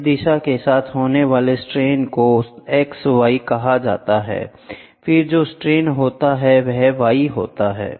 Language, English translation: Hindi, The strain which happens along this direction are called as x y, then the strain which happens down is y